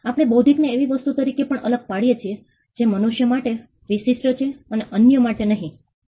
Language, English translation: Gujarati, We also distinguish intellectual as something that is special to human beings and not to other beings